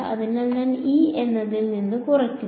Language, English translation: Malayalam, So, I subtract off E naught ok